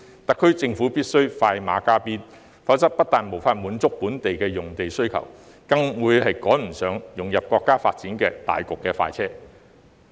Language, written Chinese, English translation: Cantonese, 特區政府必須快馬加鞭，否則不但無法滿足本地的用地需求，更會趕不上融入國家發展大局的快車。, The SAR Government must expedite its work otherwise Hong Kong will not be able to meet the local demand for lands and fail to catch up with the fast track of the overall development of the country